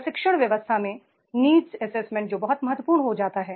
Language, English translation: Hindi, In the training system the needs assessment that becomes very very important